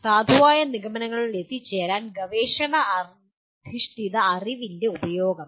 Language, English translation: Malayalam, Use of research based knowledge to provide valid conclusions